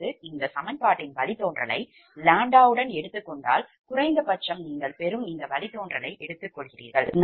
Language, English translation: Tamil, that means, if you take the derivative of this equation with respect to lambda, at least you take this derivative we get